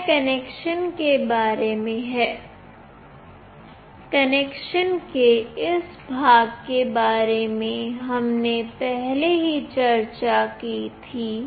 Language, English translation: Hindi, This is all about the connection and this part of the connection we already discussed earlier